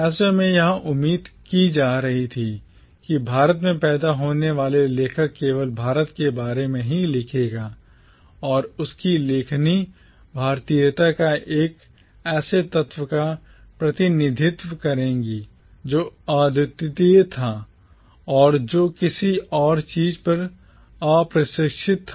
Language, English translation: Hindi, It was thus expected that an author born in India will write only about India and his or her writings will represent an essence of Indianness that was unique and that was uncontaminated by anything else